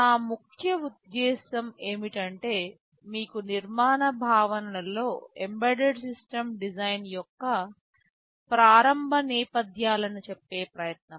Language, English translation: Telugu, This is the main purpose of trying to give you with some of the initial backgrounds of embedded system design in the architectural concepts